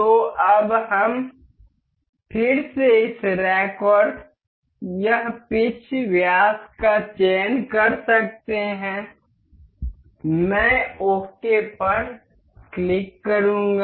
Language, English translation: Hindi, So, now, we can we again select this rack and this pitch diameter I will click ok